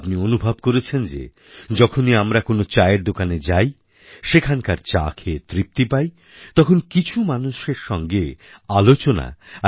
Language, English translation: Bengali, You must have realized that whenever we go to a tea shop, and enjoy tea there, a discussion with some of the customers automatically ensues